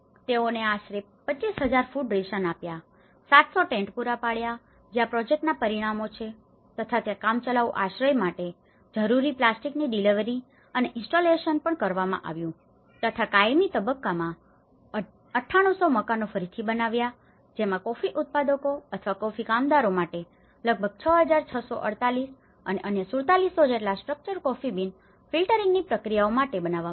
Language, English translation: Gujarati, They have got about 25,000 food rations have been provided, 700 tents have been provided and these are the project outcomes and there is also the delivery and installation of the plastics needed for the temporary shelter and in the permanent phase about 9,800 houses have been rebuilt and which 6,648 house for coffee growers or coffee workers and others 4,700 production related structures for like the coffee beans filtering processes